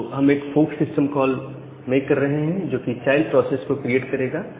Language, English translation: Hindi, So, in operative system, this fork system call creates a child process